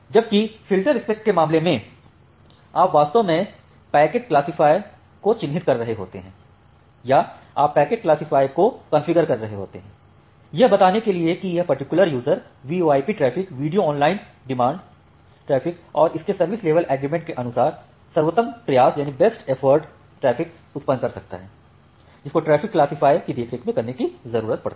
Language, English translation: Hindi, Whereas, in case of filterspec you are actually marking the packet classifier or you are configuring the packet classifier, to say that well this particular user, may generate VoIP traffic, video on demand traffic and the best effort traffic as per its service level agreement that the traffic classifier needs to take care of